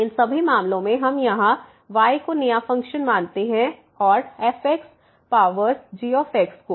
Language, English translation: Hindi, In all these cases we consider a new function here y as power this one